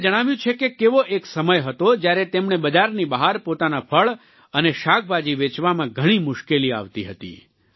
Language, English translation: Gujarati, He told us how there was a time when he used to face great difficulties in marketing his fruits and vegetables outside the mandi, the market place